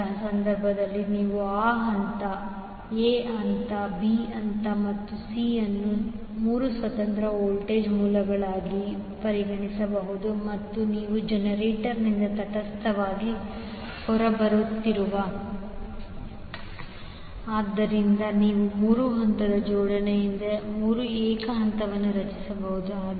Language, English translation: Kannada, So, in that case you will see that phase A phase, B phase and C can be considered as 3 independent voltage sources and if you have neutral coming out of the generator, so, you can have 3 single phase created out of 3 phase arrangement